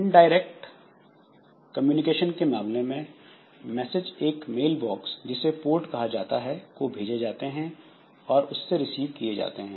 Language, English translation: Hindi, In case of indirect communication, so messages are directed and received from mail boxes also referred to as ports